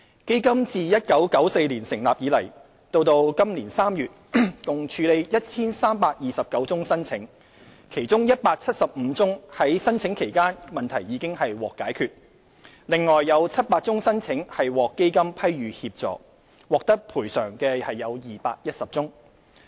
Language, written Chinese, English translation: Cantonese, 基金自1994年成立以來，截至2017年3月，共處理 1,329 宗申請，其中175宗在申請期間問題已獲解決，另外有700宗申請獲基金批予協助，獲得賠償的有210宗。, Since the Fund was established in 1994 and up to March 2017 the Fund processed 1 329 applications of which 175 cases were resolved during the application process while assistance was granted by the Fund to 700 cases and 210 of these cases resulted in compensation being granted